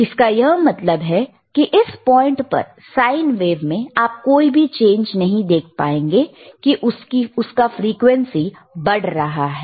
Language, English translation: Hindi, Tthat means, you at this point, you will not be able to see the change in the sine wave, that it is increasing the frequency